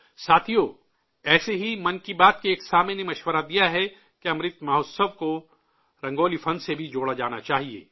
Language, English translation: Urdu, similarly a listener of "Mann Ki Baat" has suggested that Amrit Mahotsav should be connected to the art of Rangoli too